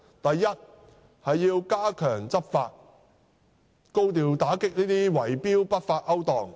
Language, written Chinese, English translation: Cantonese, 第一，政府必須加強執法，高調打擊圍標的不法勾當。, First the Government must step up enforcement to combat illegal bid - rigging practices in a high profile